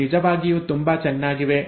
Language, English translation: Kannada, They are really very nice